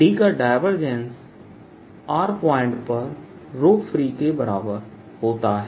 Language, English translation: Hindi, divergence of d is equal to row free